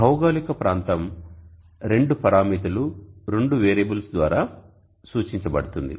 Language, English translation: Telugu, So geographic location is represented by two parameters two variables one is